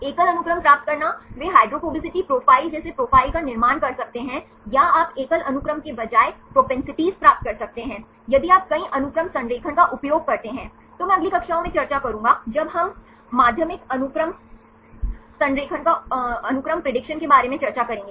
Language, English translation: Hindi, Getting a single sequence they can construct profiles like hydrophobicity profiles or you get the propensities, rather than single sequence if you use the multiple sequence alignment, I will discuss in the next classes, when we discuss about secondary sequence prediction